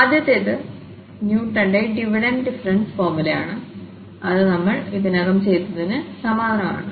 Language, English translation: Malayalam, So, the first one is the Newton's Divided difference formula which is very similar to what we have already done